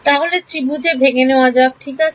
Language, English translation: Bengali, Break into triangles so right